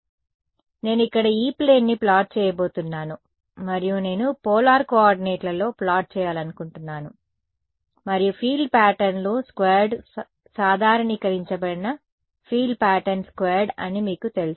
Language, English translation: Telugu, So, I am going to plot the E plane over here and I want to plot in polar coordinates what does this you know field patterns squared is normalized field pattern squared